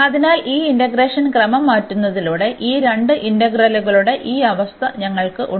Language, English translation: Malayalam, So, having change this order of integration, we have this situation of this 2 integrals